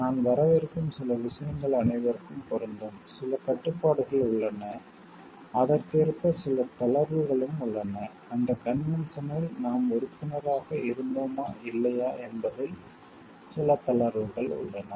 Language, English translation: Tamil, There are certain points which are common which are applicable to all, and there are certain restrictions and also correspondingly there are certain relaxations also as for whether you were party to that convention we were member to the convention or not